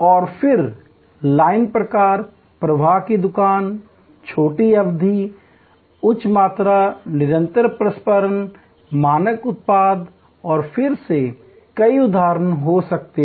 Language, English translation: Hindi, And then, there can be line type, flow shop, short duration, high volume, continuous processing, standard product and again, there can be many instances